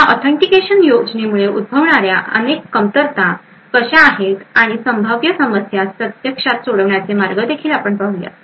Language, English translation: Marathi, We will also see how there are several weaknesses which can occur due to this authentication scheme and also ways to actually mitigate these potential problems, thank you